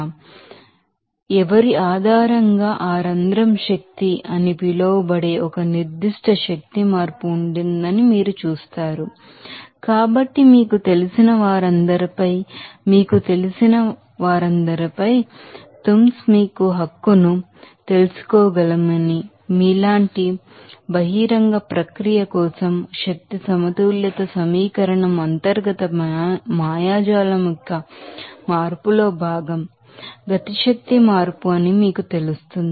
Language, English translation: Telugu, So, based on whose, you will see there will be a certain change of energy that is called that pore energy So, upon all those you know, tums considering we can you know that right, that energy balance equation for the open process like you will know that part of the change of internal magic what will be the change of kinetic energy, what will be the change of potential energy